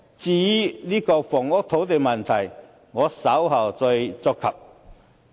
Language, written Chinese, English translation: Cantonese, 至於房屋及土地的問題，我稍後再觸及。, In regard to housing and land issues I will discuss them in due course